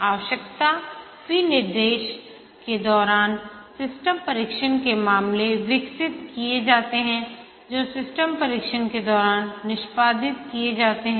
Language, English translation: Hindi, During the requirement specification, the system test cases are developed which are executed during system testing